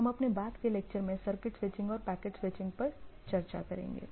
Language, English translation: Hindi, So, we will discuss about circuit switching and packet switching in our subsequent lectures